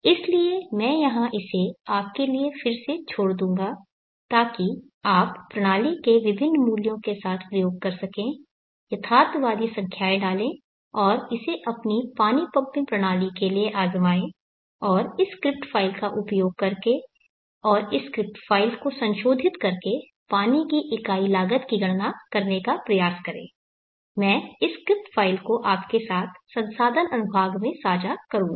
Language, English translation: Hindi, So I will leave it to you here again for you to experiment where the different values for the system put in realistic numbers and try it for your water pumping system and try to calculate the unit cost of water using the script file and modifying this script file I will share this script file with you in the resources section